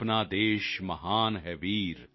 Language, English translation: Punjabi, Our country is great